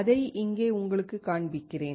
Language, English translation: Tamil, Let me show it to you here